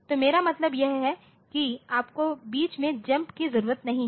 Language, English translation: Hindi, So, what I want to mean is that you do not need to jump in between, ok